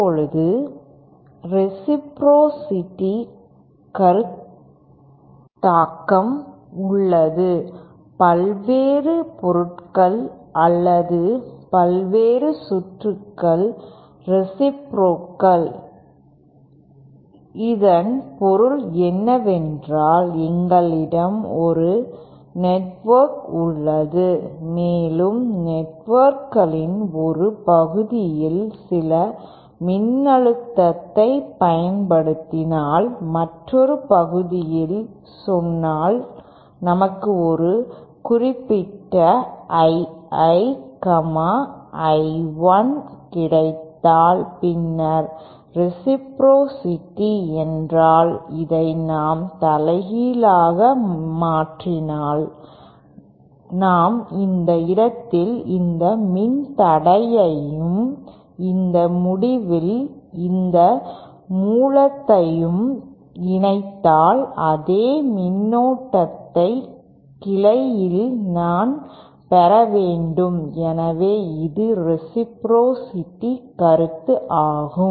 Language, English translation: Tamil, Now there is a concept of reciprocity various materials or various circuits are reciprocal, what it means is that if we have a network we have some network and if we apply some voltage at one part of the network and say in another part we get a certain I I, I 1 then reciprocity means that if we reverse this that if weÉ no in place of this if I suppose connect this resistor at this end, and this source at this end then I should be able to get the same current at this at this branch so that is the concept of reciprocity